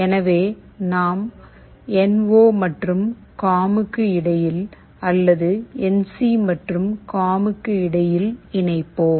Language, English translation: Tamil, So, we will be connecting either between NO and COM, or between NC and COM